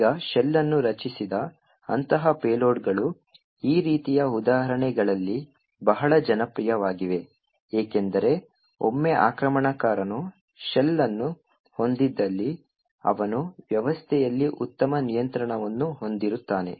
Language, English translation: Kannada, Now, such payloads where a shell is created is very popular in this kind of examples because once an attacker has a shell, he has quite a better control on the system